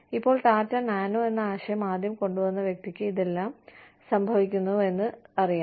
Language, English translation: Malayalam, Now, the person, who originally came up, with the concept of Tata Nano, knows that, all this is happening